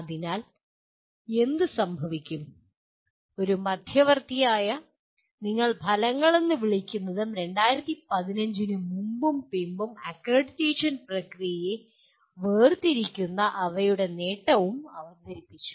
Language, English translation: Malayalam, So what happens you introduced one intermediary thing called outcomes and their attainment which differentiated pre and post 2015 accreditation process